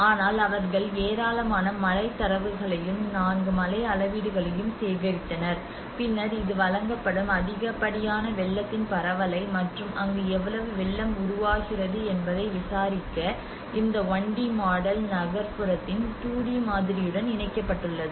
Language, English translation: Tamil, But they also collected lot of rainfall data and 4 rain gauges and then this 1D model is coupled with a 2D model of the urban area to investigate the propagation of excess flood offered that is where how much an inundation is created